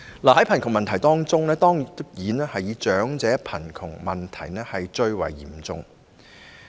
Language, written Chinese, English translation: Cantonese, 在貧窮問題中，當然以長者貧窮問題最為嚴重。, Regarding the poverty problem elderly poverty is certainly the most acute